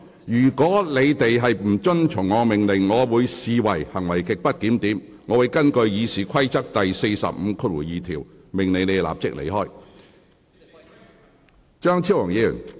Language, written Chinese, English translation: Cantonese, 如議員不遵從我的命令，我會視之為行為極不檢點，並會根據《議事規則》第452條，命令有關議員立即離開會議廳。, Any Members refusal to comply with my order will be regarded as grossly disorderly conduct for which I may order the Member concerned to withdraw immediately from this Chamber under RoP 452